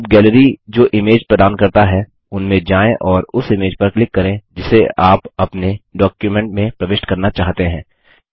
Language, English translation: Hindi, Now go through the images which the Gallery provides and click on the image you want to insert into your document